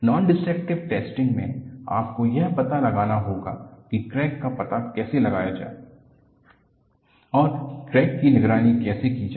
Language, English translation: Hindi, In Nondestructive testing, you will have to find out, how to detect a crack and also how to monitor the crack